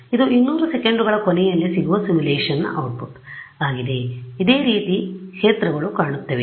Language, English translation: Kannada, This is what the output of the simulation is at the end of 200 seconds this is what the fields look like right